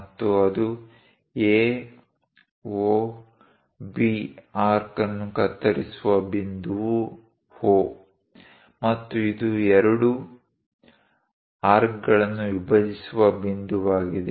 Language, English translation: Kannada, And the point through which it cuts A, O, B arc is O, and this is the point which bisect both the arcs